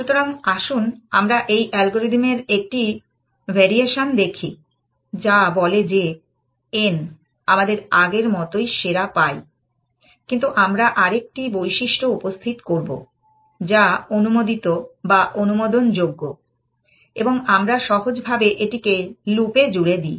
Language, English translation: Bengali, So, let us look at the variation of this algorithm, which says that n, we get the best as before, but we will introduce another feature, which is allowable or allowed and we just simply put this in the loop